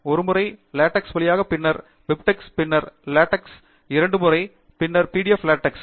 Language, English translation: Tamil, Once through LaTeX, and then BibTeX, and then LaTeX couple of times, and then PDF LaTeX